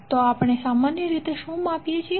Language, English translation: Gujarati, So, what we measure in general